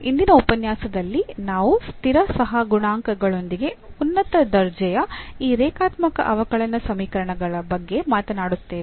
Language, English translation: Kannada, And in particular in today’s lecture we will be talking about these linear differential equations of higher order with constant coefficients